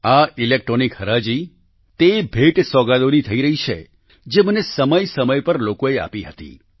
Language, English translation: Gujarati, This electronic auction pertains to gifts presented to me by people from time to time